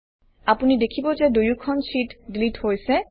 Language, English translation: Assamese, You see that both the sheets get deleted